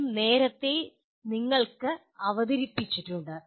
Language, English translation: Malayalam, Both are presented to you earlier